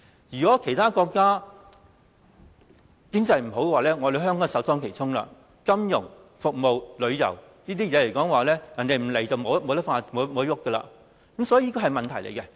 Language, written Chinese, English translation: Cantonese, 如果其他國家經濟不景，香港便會首當其衝，金融、服務和旅遊行業均依賴其他地方的人前來，否則便無法發展，這是一個問題。, In case of economic depression in other countries Hong Kong will bear the brunt of it as financial service and tourist industries are dependant of people coming from other places otherwise they cannot be developed . This is a problem